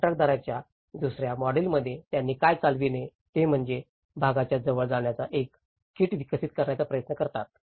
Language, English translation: Marathi, In the second model of the contractor driven what they do is they try to develop a kit of parts approach